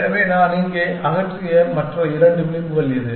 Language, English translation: Tamil, So, which other two edges that I have removed here